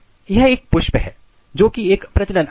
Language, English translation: Hindi, This is flower which is a reproductive organ